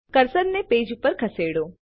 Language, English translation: Gujarati, Now move the cursor to the page